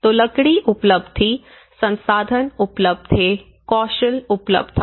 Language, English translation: Hindi, So, the timber was available, the resources was available, the skill was available